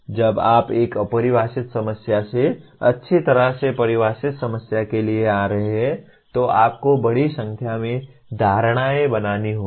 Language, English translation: Hindi, When you are coming from a ill defined problem to well defined problem you have to make a large number of assumptions